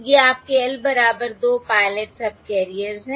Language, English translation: Hindi, These are your L equal to 2 pilot subcarriers